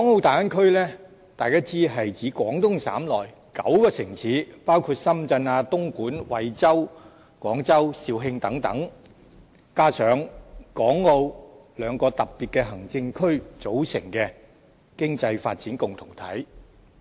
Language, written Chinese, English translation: Cantonese, 大家知道大灣區是指廣東省內9個城市，包括深圳、東莞、惠州、廣州、肇慶等，加上港澳兩個特別行政區組成的經濟發展共同體。, As we all know the Bay Area refers to the economic development community formed by nine cities within the Guangdong Province including Shenzhen Dongguan Huizhou Guangzhou and Zhaoqing together with the two Special Administrative Regions SARs of Hong Kong and Macao